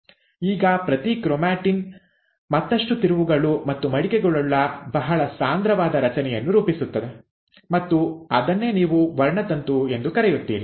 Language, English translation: Kannada, Now each chromatin further twists and folds to form a very compact structure and that is what you call as chromosome